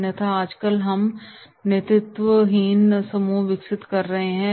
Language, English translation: Hindi, Otherwise also nowadays we are developing leaderless groups